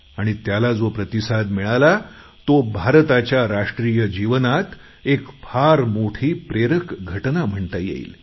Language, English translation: Marathi, This in itself was a very inspirational event in India's national life